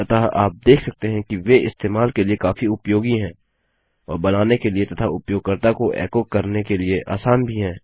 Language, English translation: Hindi, So you can see that they are really very useful to use and really easy to create as well and easy to echo out the user